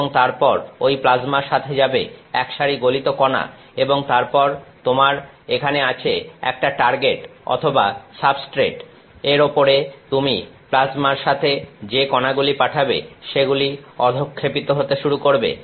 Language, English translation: Bengali, And, then one molten set of particles are going with that plasma and then you have the you have a target here or substrate, on this the particles that you are sending through the plasma begin to deposit